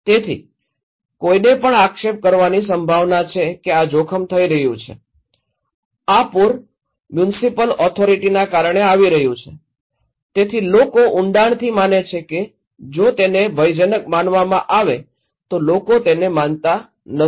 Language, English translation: Gujarati, So, also the potential to blame someone that this risk is happening, this flood is happening because of the municipal authority, so people are deeply believing that if it is considered to be dread people don’t believe it